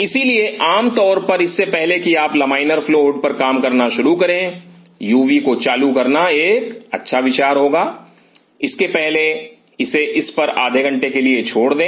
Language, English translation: Hindi, So, generally before you start working on laminar flow hood it is good idea to switch on a UV before that and leave it on for half an hour or So